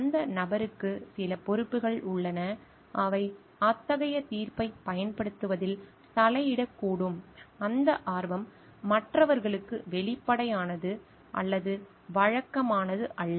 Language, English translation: Tamil, The person has some responsibilities of the sort that might interfere with in exercise of such judgement having those interest is neither obvious or not usual for others in the position of trust